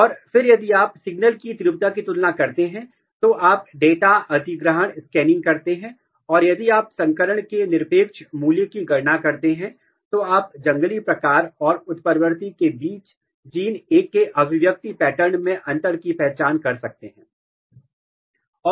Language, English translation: Hindi, And then if you compare the signal intensity, you do the data acquisition scanning and if you calculate the absolute value of hybridization, you can identify the difference in the expression pattern of gene A between wild type as well as mutant